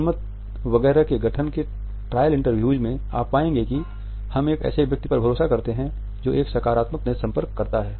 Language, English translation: Hindi, In trial interviews in the formation of the public opinion etcetera you would find that we tend to trust a person who has a positive eye contact